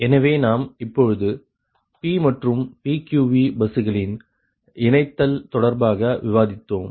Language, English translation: Tamil, so this concept of p bus and pqv bus are also coming